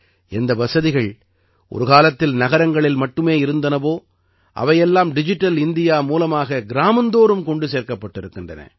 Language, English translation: Tamil, Facilities which were once available only in big cities, have been brought to every village through Digital India